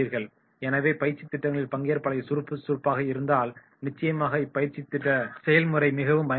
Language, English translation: Tamil, So in the training activities that is if there are the participants active then definitely that will make the training process more effective